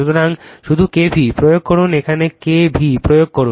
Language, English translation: Bengali, So, you just apply K v l, just apply K v l here, right